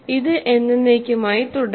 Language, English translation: Malayalam, Is it possible to continue forever